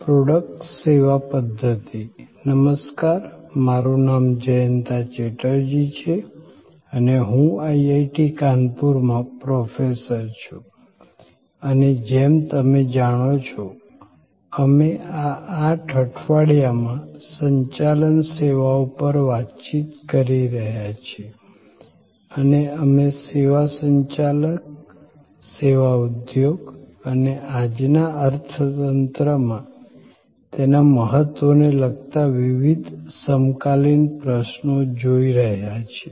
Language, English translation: Gujarati, Hello, I am Jayanta Chatterjee, Professor at IIT, Kanpur and as you know, we are interacting over these 8 weeks on Managing Services and we are looking at various contemporary issues relating to service management, service business and its importance in today's economy